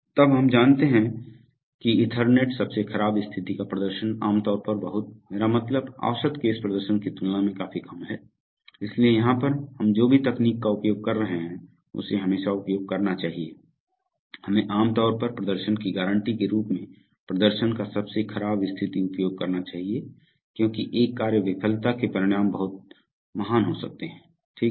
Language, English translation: Hindi, Then we know that Ethernet worst case performance is generally very, I mean goes down significantly compared to the average case performance, so but here whatever technology we are using we should always use, we should generally always use worst case performance as the performance guarantee because the consequences of a task failure could be very great, right